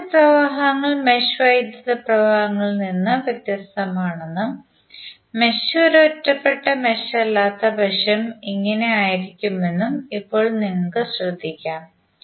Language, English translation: Malayalam, Now you can notice that the branch currents are different from the mesh currents and this will be the case unless mesh is an isolated mesh